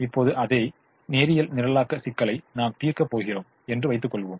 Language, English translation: Tamil, now let us assume that we are going to solve the same linear programming problem